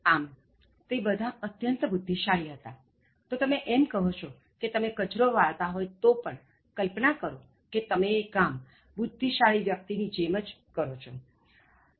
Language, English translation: Gujarati, ” So, they were all geniuses, so you’re saying that even when you sweep a street, imagine that you are doing it just like a genius